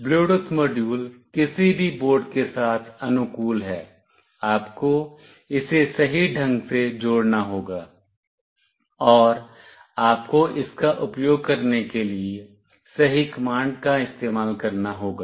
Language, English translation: Hindi, Bluetooth module are compatible with any board, you must connect it in the correct fashion, and you must use the correct command for using it